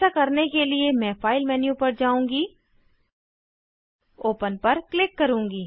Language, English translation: Hindi, To do this, I will go to the File menu, click on Open